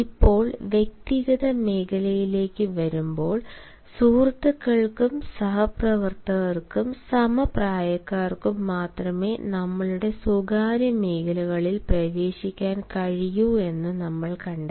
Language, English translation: Malayalam, now, coming to personal zone, we find that only friends, colleagues and peers they can enter our personal zones